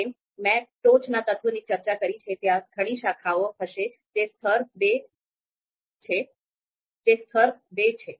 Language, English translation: Gujarati, So as I said from the top element, there are going to be number of branches you can see level two